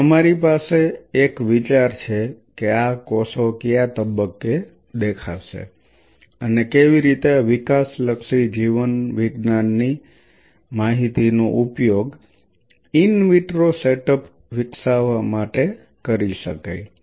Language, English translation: Gujarati, So, we have an idea that at what point these cells will appear and how that information of developmental biology could be exploited to develop an in vitro setup